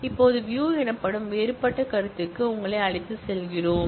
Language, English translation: Tamil, Now, we take you to a different concept known as views now